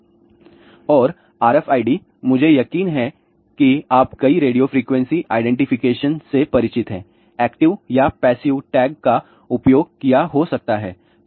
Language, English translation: Hindi, And, RFID I am sure many of your familiar with radio frequency identification ah might have use active or passive tag